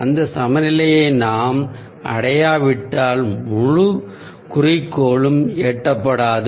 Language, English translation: Tamil, unless we achieve that balance, the whole goal will ah unreached